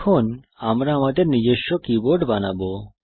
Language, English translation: Bengali, We shall now create our own keyboard